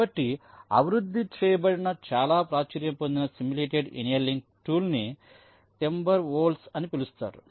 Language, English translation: Telugu, so one of the very popular simulated annealing tool that was developed was called timber wolf